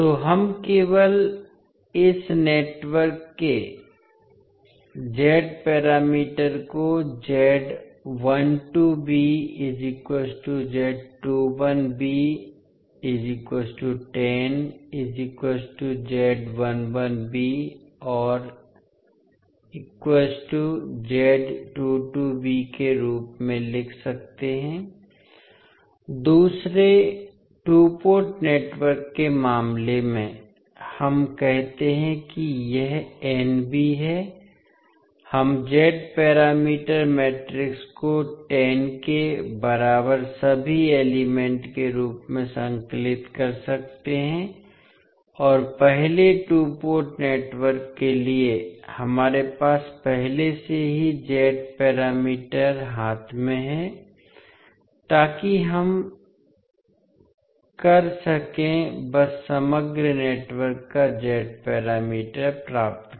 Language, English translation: Hindi, So in case of second two port network let us say it is Nb, we can compile the Z parameter matrix as having all the elements as equal to 10 and for the first two port network we already have the Z parameters in hand so we can simply get the Z parameter of the overall network